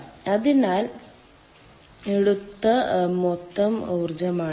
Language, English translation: Malayalam, so this is the total energy taken